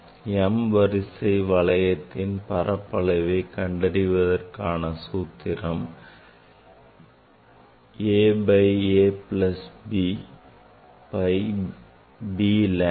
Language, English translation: Tamil, area of the m th zone that will come a by a plus b pi b lambda